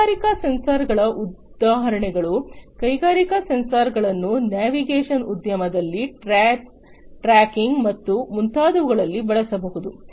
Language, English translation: Kannada, So, examples of industrial sensors, industrial sensors can be used in the navigation industry, for tracking and so on